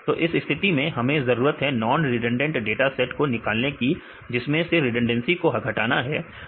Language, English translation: Hindi, So, in this case we need to derive the non redundant dataset right for reducing redundancy